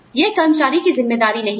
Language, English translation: Hindi, It is not the employee